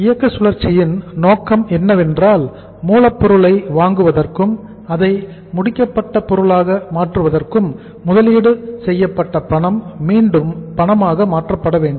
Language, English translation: Tamil, And the objective under the operating cycle is that the cash invested in buying of the raw material and converting that into finished product should be converted back into the cash